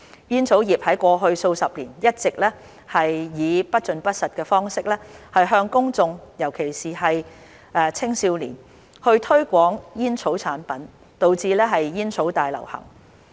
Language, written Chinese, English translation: Cantonese, 煙草業在過去數十年一直以不盡不實的方式向公眾，尤其青少年，推廣煙草產品，導致煙草大流行。, The tobacco industry has been misrepresenting tobacco products to the public especially young people for decades contributing to the tobacco epidemic